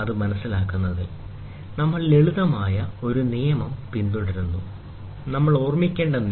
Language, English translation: Malayalam, In to eliminate the confusion, we follow a simple rule, the rule we should remember